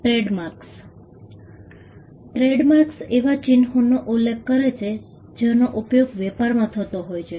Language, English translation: Gujarati, Trademarks referred to marks that are used in trade